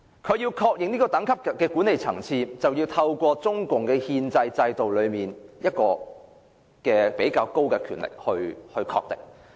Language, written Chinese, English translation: Cantonese, 屬這個管理層次政府之間的《合作安排》，須交由中共憲制內較高層次的權力機構確認。, Any Co - operation Arrangement between governments at this administrative level has to be endorsed by authorities at a superior level under the constitutional system of the Communist Party